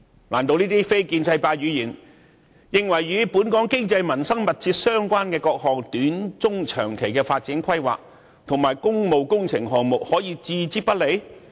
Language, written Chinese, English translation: Cantonese, 難道這些非建制派議員認為，這些與本港經濟民生關係密切的各項短、中、長期發展規劃及工務工程項目，可以置之不理嗎？, Do Members from the non - establishment camp really think that all these short medium and long term development planning and public works projects which are closely related to Hong Kongs economy and livelihood can be ignored?